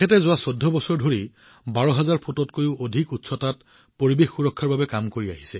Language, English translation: Assamese, For the last 14 years, he is engaged in the work of environmental protection at an altitude of more than 12,000 feet